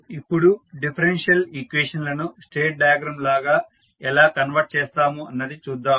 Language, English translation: Telugu, Now, let us see how you will convert the differential equations into state diagrams